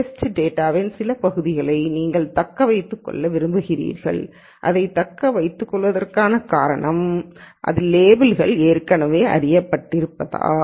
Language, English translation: Tamil, And then you want to retain some portion of the data for testing and the reason for retaining this is because the labels are already known in this